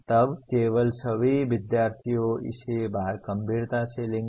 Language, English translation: Hindi, Then only all the students will take it seriously